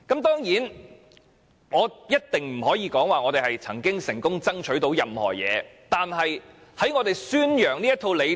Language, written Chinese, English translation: Cantonese, 當然，我一定不會說我們曾經成功爭取到任何東西，但我們一直在宣揚這套理念。, Of course I will definitely not say we have successfully strived for anything only that we have been promoting this philosophy all along